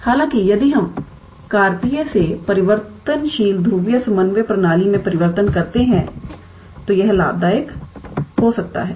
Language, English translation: Hindi, However, if we do the change of variable from Cartesian to the polar coordinate system it might be beneficial